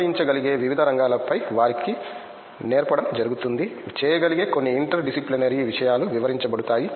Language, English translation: Telugu, Like teach them on different areas that can be applied, some interdisciplinary things that can be done